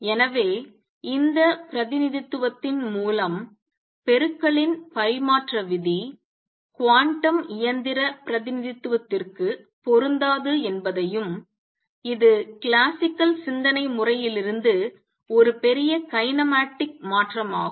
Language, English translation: Tamil, So, by this representation it also follows that the normal commutative rule of multiplication does not apply to quantum mechanical representation this is a big kinematic change from the classical way of thinking that